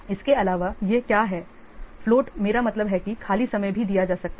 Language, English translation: Hindi, Also what is this float, I mean the free time also can be is given